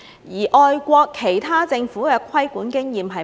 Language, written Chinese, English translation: Cantonese, 外國其他政府的規管經驗是甚麼？, What about the experiences of other governments abroad in this respect?